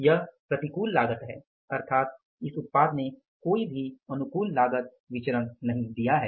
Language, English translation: Hindi, It means this product has not caused any favorable cost variance